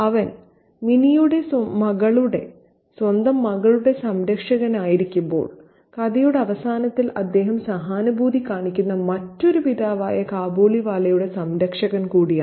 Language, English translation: Malayalam, And while he is the protector of Minnie, the daughter, his own daughter, he is also the protector of the Khabliwala, another father figure with whom he empathizes with at the end of the story